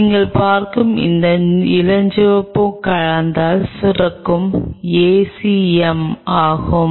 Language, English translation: Tamil, These pink what you are seeing are the ACM secreted by the cell